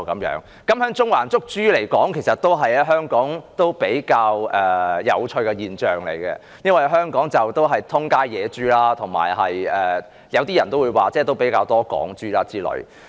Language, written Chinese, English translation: Cantonese, 在中環捕捉活豬，其實在香港也是比較有趣的現象，因為香港四處都是野豬，有些人也會說有比較多"港豬"，諸如此類。, Catching live pigs in Central will indeed be a rather funny scene in Hong Kong as there are wild pigs everywhere in Hong Kong and some also say there are quite a lot of Hong Kong pigs around and so on